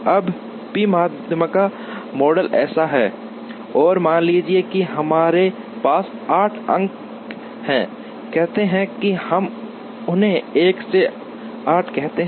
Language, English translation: Hindi, Now, the p median model is like this, and suppose we have 8 points, say we call them 1 to 8